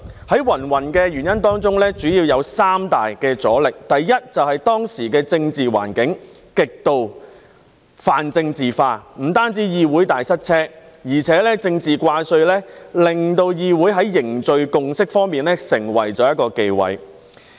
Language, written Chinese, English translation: Cantonese, 在芸芸原因當中，主要有三大阻力，第一，就是當時的政治環境極度泛政治化，不單議會大塞車，而且政治掛帥亦令議會在凝聚共識方面成為了一個忌諱。, Firstly the political environment at the time was extremely and extensively politicized . Not only was there serious congestion of the Council business . The practice of acting primarily out of political considerations had also made it a taboo to forge a consensus in the Council